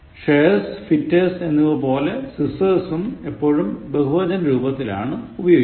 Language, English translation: Malayalam, Scissors, like shears and fetters are always use in the plural